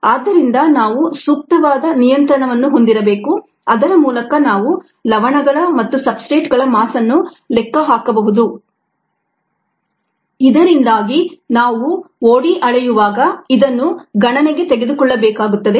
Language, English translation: Kannada, so we need to have an appropriate control by which we can account for the mass of salts and substrates and so on, so that we need to take in to account while measuring od